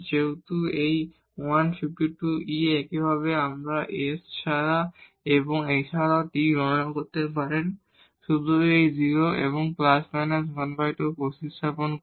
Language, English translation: Bengali, So, that is a 15 over 2 e similarly, we can compute now this s and also t just by substituting this 0 and plus minus half